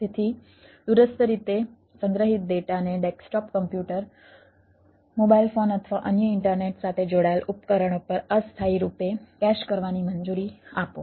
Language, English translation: Gujarati, so allow data stored remotely to be temporarily cached on the desktop computers, mobile phones or other internet linked device so you, you can have a sinking with the data